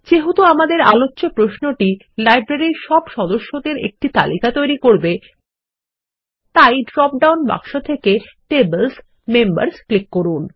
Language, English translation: Bengali, Since our example query is about getting a list of all the members of the Library, we will click on the Tables: Members from the drop down box